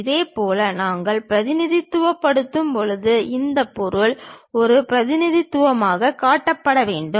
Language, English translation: Tamil, Similarly, when we are representing; this material has to be shown as a representation